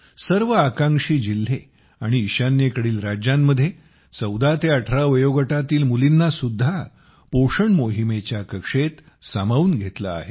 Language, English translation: Marathi, In all the Aspirational Districts and the states of the North East, 14 to 18 year old daughters have also been brought under the purview of the POSHAN Abhiyaan